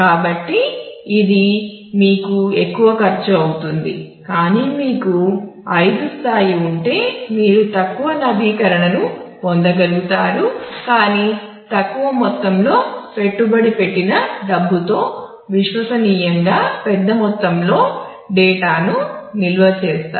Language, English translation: Telugu, So, which will give you which will cost you more, but if you have a level 5, then you will be able to get a low update, but have large amount of data stored reliably with less amount of money invested into that